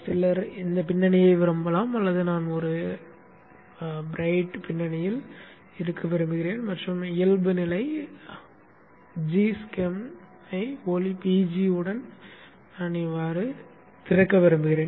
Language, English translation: Tamil, Some people may like this background fine but I would prefer to have a light background and I would like to have the default GSM opening with light BG